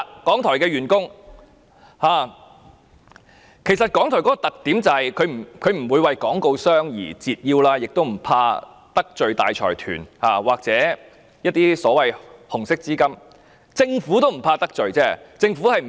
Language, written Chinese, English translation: Cantonese, 港台的特點就是不會向廣告商折腰，亦不怕得罪大財團或一些所謂紅色資金，連政府也不怕得罪。, It is the hallmark of RTHK that it will not bend to advertisers . It does not fear offending large consortia or some so - called Red Capital nor is it afraid of offending the Government